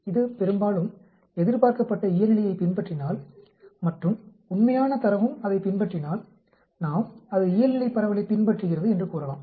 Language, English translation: Tamil, If it follows normal mostly the expected and the actual will follow on that line, then we could say it follows a Normal distribution